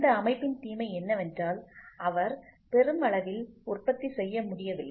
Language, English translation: Tamil, The disadvantage of this system is he was not able to mass produce